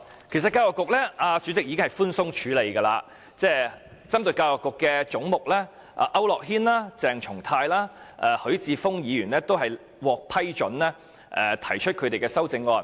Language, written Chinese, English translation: Cantonese, 其實主席已經寬鬆處理，批准區諾軒議員、鄭松泰議員及許智峯議員就教育局這個總目提出修正案。, In fact the President has been very loose in handling the amendment . He allowed Mr AU Nok - hin Dr CHENG Chung - tai and Mr HUI Chi - fung to move amendments to the head on the Education Bureau